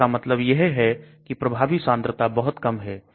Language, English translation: Hindi, So that means effective concentration is much less